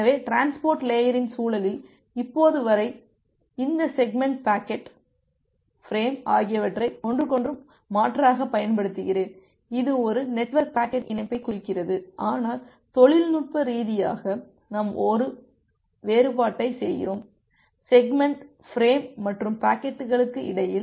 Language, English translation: Tamil, So, in the context of transport layer till now I have use this terms segment, packet, frame interchangeably everything to point that a network packet which is going over the link, but technically we make a differentiation between the segment, the frame and the packets